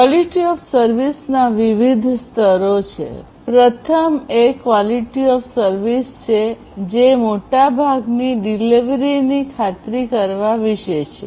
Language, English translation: Gujarati, So, there are different levels of QoS; the first one is the QoS 0 which is about ensuring at most once delivery